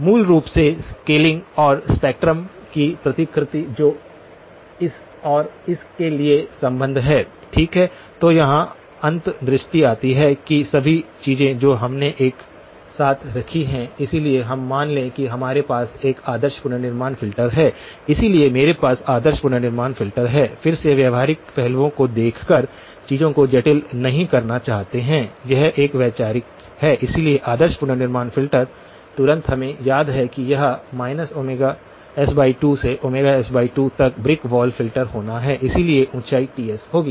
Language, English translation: Hindi, Basically, scaling and the replication of spectrum which is the relationship for this and this, okay so here comes the insights that all the things that we have put together, so let us assume that we have an ideal reconstruction filter, so I have the ideal reconstruction filter again do not want to complicate things by looking at the practical aspects just for this is more of a conceptual, so ideal reconstruction filter immediately we recall that this has to be a brick wall filter from minus omega s by 2 to omega s by 2, this will have an height of Ts